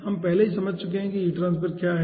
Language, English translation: Hindi, let us quickly see what is boiling heat transfer actually